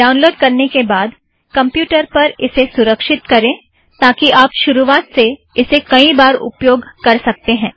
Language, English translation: Hindi, After downloading, save it for future use, as you may want to install it a few times